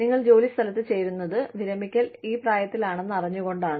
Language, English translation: Malayalam, And, you join your place of work, knowing that, this is the age at which, you will be required to leave